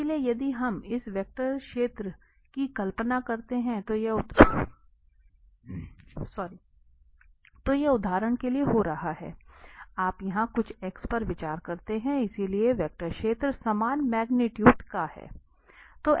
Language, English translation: Hindi, So if we visualize this vector field, so this is what happening at for instance, you consider at some x here so, the vector field is of the magnitude is the same